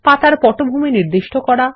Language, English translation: Bengali, Give a background to the page